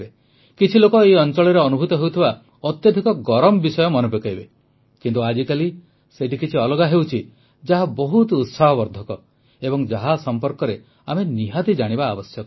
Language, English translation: Odia, And some people will also remember the extreme heat conditions of this region, but, these days something different is happening here which is quite heartening, and about which, we must know